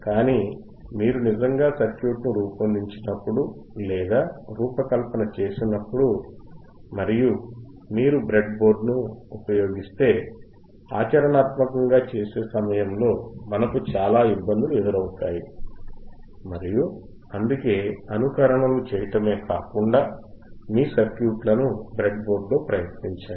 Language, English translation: Telugu, But when you actually factually abricatefabricate or design the circuit, and if you use the breadboard, you will find lot of actual effective ppractical difficulties and that is why it is always good to not only do the simulations, but also try your circuits on the breadboard